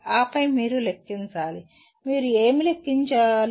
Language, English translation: Telugu, And then you have to calculate, what do you calculate